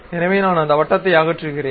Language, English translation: Tamil, So, I remove that circle